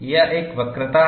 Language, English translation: Hindi, It is having a curvature